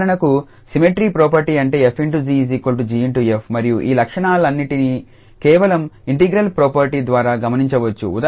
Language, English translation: Telugu, So, for instance the symmetry property that means f star g is equals to g star f and one can observe all these properties just by the property of the integral